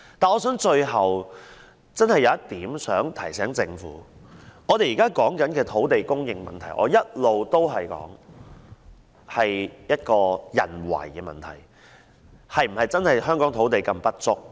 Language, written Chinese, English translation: Cantonese, 但是，最後我有一點想提醒政府，我們現在討論的土地供應問題，我一直主張是人為問題，香港的土地是否真的如此不足？, However lastly I would like to remind the Government that the land supply issue under discussion is actually man - made as I have all along advocated . Is there really such a shortage of land in Hong Kong?